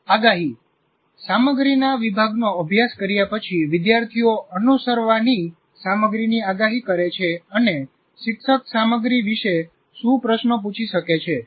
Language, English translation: Gujarati, After studying a section of the content, the students predict the material to follow and what questions the teacher might ask about the content